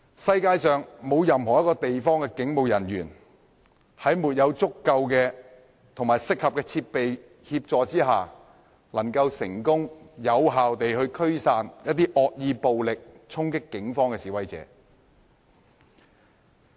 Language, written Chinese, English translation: Cantonese, 世界上沒有任何一個地方的警務人員能夠在沒有足夠及適合設備的協助下，成功及有效驅散惡意暴力衝擊警方的示威者。, Without the aid of adequate and proper equipment no policemen in anywhere of the world may effectively and successfully disperse protesters charging at them maliciously and violently